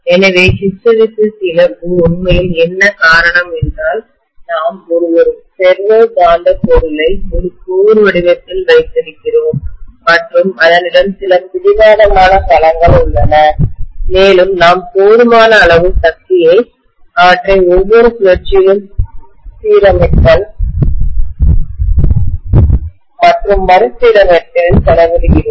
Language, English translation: Tamil, So hysteresis loss is actually due to the fact that we are having a ferromagnetic material in the form of a core and it has certain domains which are obstinate and we are spending enough amount of energy in aligning and realigning them over every cycle